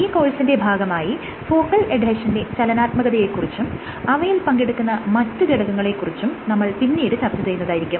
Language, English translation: Malayalam, So, later in the course we will touch upon what are the how dynamics of focal adhesion is achieved and what are the players which participate in this dynamics